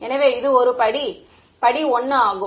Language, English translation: Tamil, So, this is sort of step 1